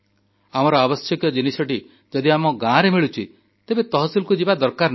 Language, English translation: Odia, If it is found in Tehsil, then there is no need to go to the district